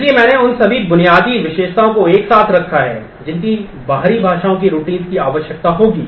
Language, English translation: Hindi, So, I have put together all the basic features that external language routines will need